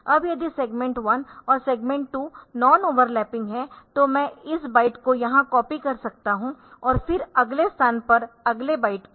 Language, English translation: Hindi, Now, if the segment one and segment 2 they are all overlapping then I can copy this byte here then the next byte at a next location